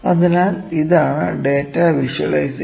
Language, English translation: Malayalam, So, this is data visualisation